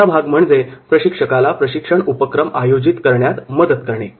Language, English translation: Marathi, Third one is, assisting the trainers in organising training activities